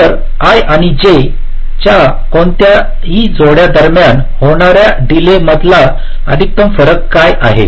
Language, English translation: Marathi, so what is the maximum difference in the delays between any pair of i and j